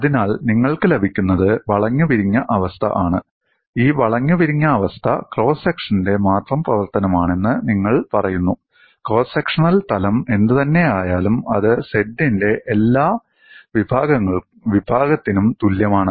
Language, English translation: Malayalam, So, what you gain is there is warping and you say this warping is function of only the cross section, whatever the cross sectional plane, it is same as every section of z